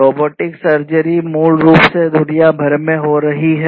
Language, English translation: Hindi, Robotic surgery is basically something that is happening worldwide